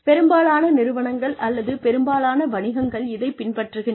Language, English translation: Tamil, Most organizations, or most businesses, I think, all businesses are